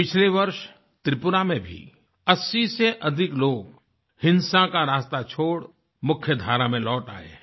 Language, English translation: Hindi, Last year, in Tripura as well, more than 80 people left the path of violence and returned to the mainstream